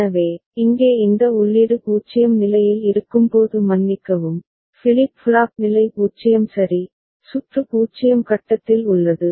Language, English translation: Tamil, So, here whenever this input is at state 0 sorry, the flip flop is at state 0 ok, the circuit is at stage 0